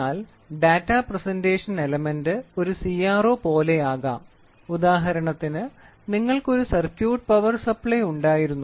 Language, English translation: Malayalam, So, the Data Presentation Element can be like a CRO which is there for example, you had a circuit a power supply